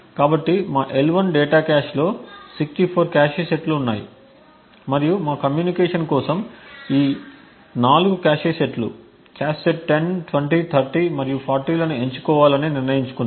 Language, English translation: Telugu, So, there were 64 cache sets in our L1 data cache and we have decided to choose these 4 cache sets, cache set 10, 20, 30 and 44 for our communication